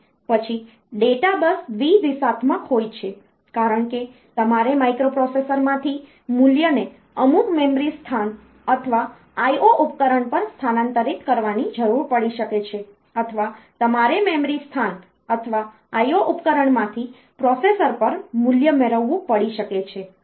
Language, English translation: Gujarati, Then data bus the data bus is bi directional because you may need to transfer the value from the microprocessor to some memory location or I O device, or you may have to get the value from the memory location or I O device to the processor